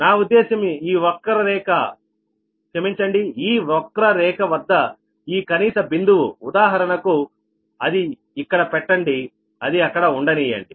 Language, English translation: Telugu, i mean this point, this minimum point at this curve, right, for example, keep it here, let it be here